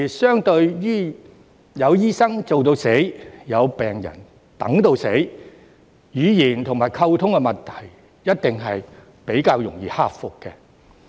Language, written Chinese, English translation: Cantonese, 相對於有醫生做到死，有病人等到死，語言和溝通的問題一定較容易克服。, As compared with having doctors overworking and patients waiting till death the language and communication problems will definitely be easier to overcome